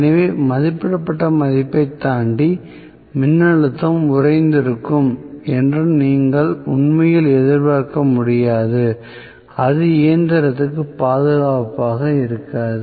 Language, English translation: Tamil, So, you cannot really expect the voltage to be frozen beyond whatever is the rated value still it is not it will not remain safe for the machine